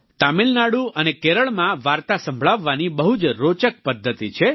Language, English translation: Gujarati, In Tamilnadu and Kerala, there is a very interesting style of storytelling